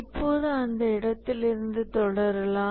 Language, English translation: Tamil, Now let's continue from that point onwards